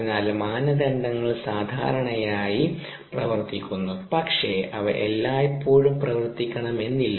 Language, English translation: Malayalam, so the criteria usually work, ah, but they don't work all the time